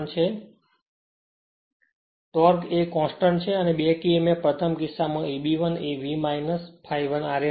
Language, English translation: Gujarati, So, torque is a constant and back Emf in the first case E b 1 will be V minus I a 1 r a